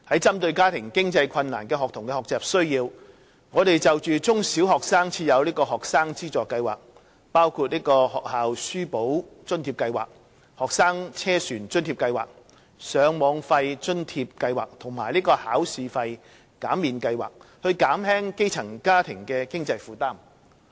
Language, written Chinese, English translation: Cantonese, 針對家庭經濟困難的學童的學習需要，我們就中、小學生設有學生資助計劃，包括"學校書簿津貼計劃"、"學生車船津貼計劃"、"上網費津貼計劃"及"考試費減免計劃"，以減輕基層家庭的經濟負擔。, To address the learning needs of students from families with financial difficulties we have in place financial assistance schemes for primary and secondary students which include the School Textbook Assistance Scheme Student Travel Subsidy Scheme Subsidy Scheme for Internet Access Charges and Examination Fee Remission Scheme in order to alleviate the financial burden of grass - roots families